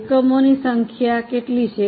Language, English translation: Gujarati, What is the number of units